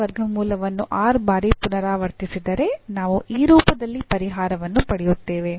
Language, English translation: Kannada, So, if alpha is alpha root is repeated r times then we will get the solution in this form